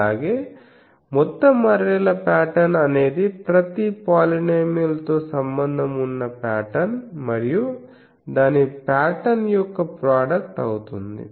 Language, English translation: Telugu, Also so, the total arrays pattern is the product of the patterns associated with each polynomial by itself